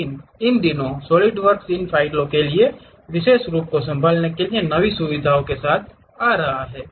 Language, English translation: Hindi, But these days, Solidworks is coming up with new features even to handle these specialized formats for these files